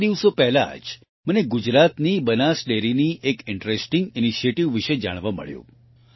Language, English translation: Gujarati, Just a few days ago, I came to know about an interesting initiative of Banas Dairy of Gujarat